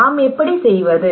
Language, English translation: Tamil, How do we do